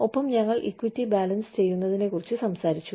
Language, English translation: Malayalam, And, we talked about, balancing equity